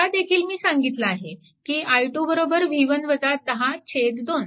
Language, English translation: Marathi, So, this will be your i 3